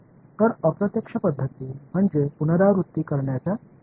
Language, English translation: Marathi, So, indirect methods are iterative methods